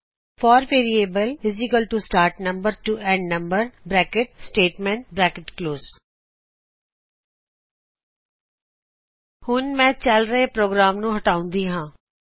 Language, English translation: Punjabi, for variable = start number to end number { Statement} Let me clear the current program